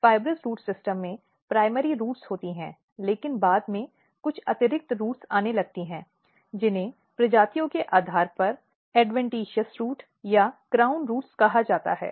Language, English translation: Hindi, In fibrous root system there are primary roots, but later on there are some additional roots which starts coming in these systems which are normally called adventitious root or crown roots depending on the species